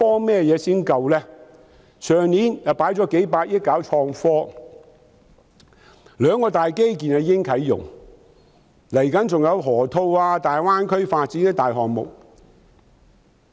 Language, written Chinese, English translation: Cantonese, 去年當局已經投放數百億元推動創科，兩項大型基建亦已經啟用，未來還有河套區、大灣區發展的大型項目。, Last year the authorities already invested tens of billions of dollars to promote development in innovation and technology two major infrastructure projects have come into operation and large - scale projects in the Loop area and the Greater Bay Area will be coming on stream